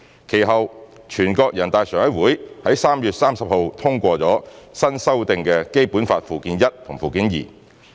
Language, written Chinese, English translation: Cantonese, 其後，全國人大常委會於3月30日通過新修訂的《基本法》附件一和附件二。, Subsequently the NPCSC adopted the amended Annex I and Annex II to the Basic Law on 30 March